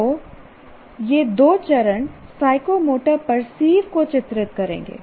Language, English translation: Hindi, So these two steps will characterize the psychomotor perceive